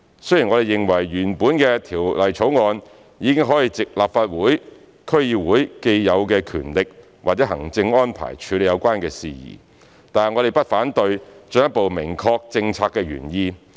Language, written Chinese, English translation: Cantonese, 雖然我們認為原本的《條例草案》已可藉立法會/區議會既有的權力或行政安排處理有關事宜，但我們不反對進一步明確政策原意。, While we believe the original proposal in the Bill could handle the concerned matters with existing powers or administrative arrangement of the Legislative CouncilDCs we do not object to further clarify the policy intent